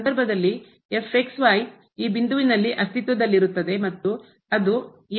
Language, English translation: Kannada, In that case we have the result that will also exist at this point and it will be equal to the value of